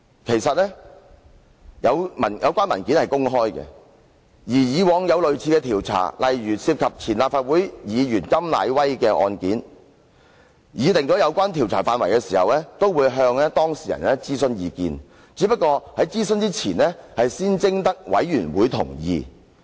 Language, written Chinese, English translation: Cantonese, 其實，有關文件是公開的，過往也有類似的調查，例如涉及前立法會議員甘乃威的個案，在擬定有關調查範圍時，也會向當事人諮詢意見，只是在諮詢前會先徵得委員會同意。, In fact the relevant documents are open to the public . There were similar inquires in the past . For example in the case relating to KAM Nai - wai a former Legislative Council Member in drawing up the scope of inquiry the parties concerned had also been consulted after seeking the consent of the committee